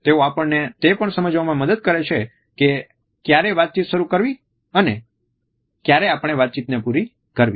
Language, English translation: Gujarati, They also help us to understand whether a communication is to be started or when it is the time to end our communication